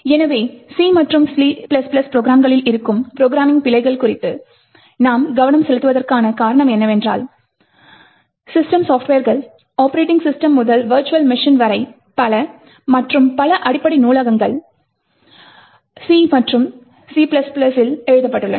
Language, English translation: Tamil, So, why we focus on C and C++ is due to the fact that many systems software such as starting from operating systems to virtual machines and lot of the underlying libraries are written in C and C++